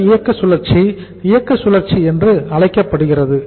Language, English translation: Tamil, Gross operating cycle is called as operating cycle